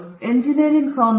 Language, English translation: Kannada, Engineering again aesthetic